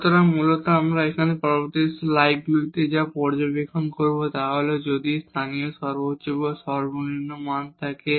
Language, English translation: Bengali, So, basically what we will observe now in the next slides that if the local maximum or minimum exists